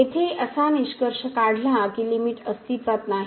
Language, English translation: Marathi, So, that concludes that the limit does not exist